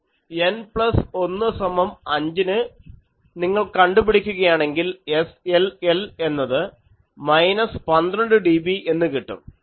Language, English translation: Malayalam, N plus 1 is equal to 20, SLL is minus 13 dB